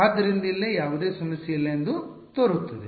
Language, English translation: Kannada, So, here they seems to be no problem